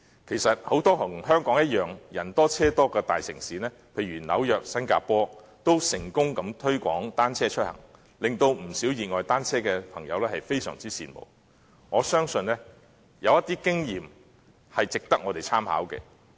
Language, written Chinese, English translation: Cantonese, 其實，很多像香港般人多車多的大城市，例如紐約和新加坡，均成功推廣單車出行，令不少熱愛單車的朋友非常羨慕，我相信有些經驗值得我們參考。, In fact the idea of commuting by bicycles has been successfully promoted in many big cities such as New York and Singapore which have just as many people and vehicles as in Hong Kong . Not only are these cities greatly envied by quite many bicycle enthusiasts but I also believe it is worthwhile for us to refer to some of their experience